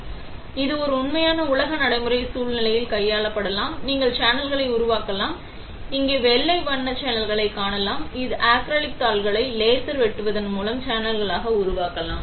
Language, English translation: Tamil, So, it can be handled in a real world practical scenario, you can make channels; you can see the white colour channels here, you can make channels by laser cutting these acrylic sheets